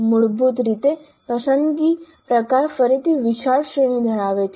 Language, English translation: Gujarati, So basically the selection type again has a wide range